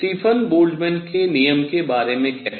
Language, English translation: Hindi, How about Stefan Boltzmann’s law